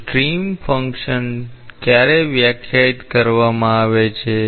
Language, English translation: Gujarati, So, when is stream function defined